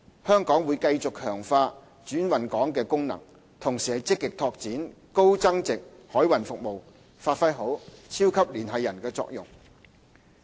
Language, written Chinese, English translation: Cantonese, 香港會繼續強化轉運港功能，同時積極拓展高增值海運服務，發揮好"超級聯繫人"的作用。, Hong Kong will continue to reinforce its function as a transshipment hub and at the same time actively develop high value - added maritime services so as to better serve the role as the super - connector between the Mainland and the rest of the world